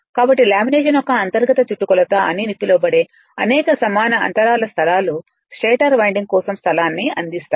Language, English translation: Telugu, So, a number of evenly spaced lots punch out of the your what you call internal circumference of the lamination provide the space of the for the stator winding